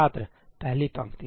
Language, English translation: Hindi, Student: First row